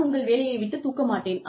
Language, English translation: Tamil, I will not take your job away